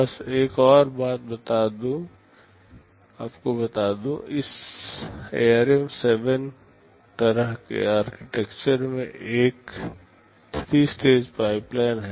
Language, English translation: Hindi, Just another thing let me tell you, in this ARM7 kind of architecture a 3 stage pipeline is there